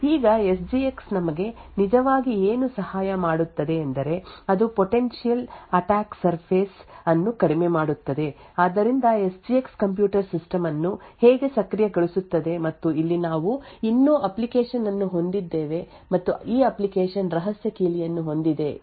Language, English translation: Kannada, Now what SGX actually helps us do is that it reduces the potential attack surface so this is how SGX enables the computer system would look like and over here let us say we still have an application and this application has a secret key